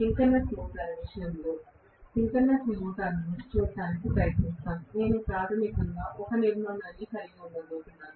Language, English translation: Telugu, Let us try to look at the synchronous motor, in the case of a synchronous motor; I am going to have basically the same structure